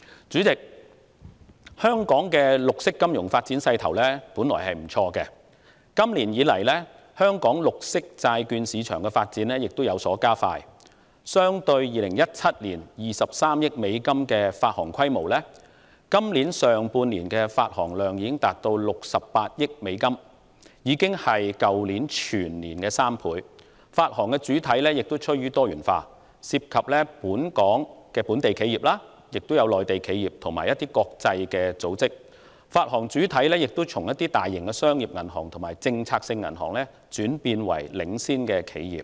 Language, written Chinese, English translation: Cantonese, 主席，香港的綠色金融發展勢頭本來不錯，今年以來，本地綠色債券市場的發展步伐亦已加快，相對於2017年的23億美元發行規模，今年上半年度的發行量總值已達68億美元，是去年全年的3倍，發行主體亦趨於多元化，包括本地企業、內地企業和國際組織，發行主體亦由大型商業銀行和政策性銀行轉變為領先企業。, President the momentum in the development of green finance in Hong Kong has been quite good and the pace of development of local green bond market has quicken since this year . As compared with the issuance size of US2.3 billion in 2017 the total amount of issuance for the first half of this year has already reached US6.8 billion tripling that of the entire last year . Besides issuers tend to be more diversified ranging from local and mainland enterprises to international organizations